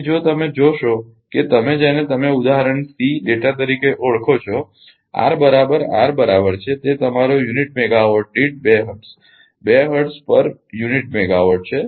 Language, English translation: Gujarati, So, if you if you look at that your what you call the example C data R is equal to right R is equal to that is your it is data 2 hertz per unit megawatt